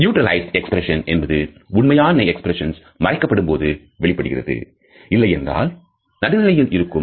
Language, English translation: Tamil, A neutralized expression occurs when a genuine expression is suppressed and the face remains, otherwise neutral